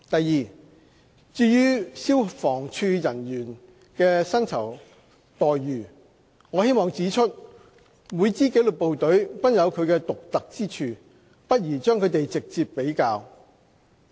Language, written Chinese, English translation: Cantonese, 二至於消防處人員的薪酬待遇，我希望指出每支紀律部隊均有其獨特之處，不宜將它們直接比較。, 2 As regards the remuneration package for personnel in the Fire Services Department FSD I wish to point out that each disciplined service is unique and it is not advisable to compare them directly